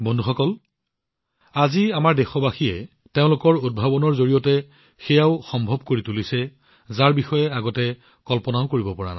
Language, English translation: Assamese, Friends, Today our countrymen are making things possible with their innovations, which could not even be imagined earlier